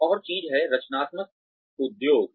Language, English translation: Hindi, Another thing is the creative industries